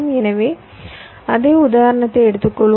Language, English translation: Tamil, so lets, lets take the same example to work it